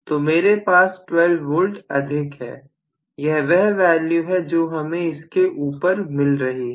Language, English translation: Hindi, So, I have almost 12 V in excess, this is available in excess